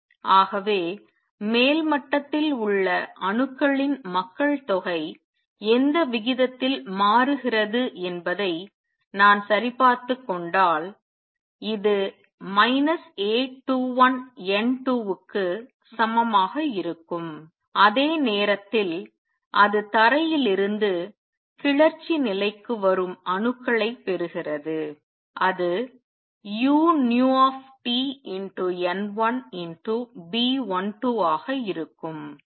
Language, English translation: Tamil, So, if I were to check the rate at which the population of atoms at the upper level is changing this would be equal to minus A 21 N 2 at the same time it is gaining atoms which are coming from ground state to excited state and that will be u nu T N 1 times B 12